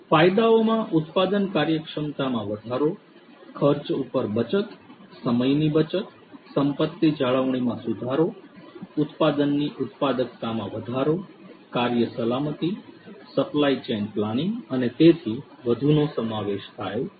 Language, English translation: Gujarati, Benefits include increase in production efficiency, saving on costs, saving on the time, improving asset maintenance, enhancing product productivity, work safety, supply chain planning and so on